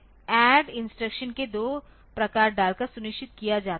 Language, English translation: Hindi, So, this is ensured by putting 2 variant of this ADD instruction